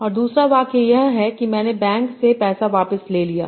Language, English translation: Hindi, And second one is the sentence, I withdrew the money from the bank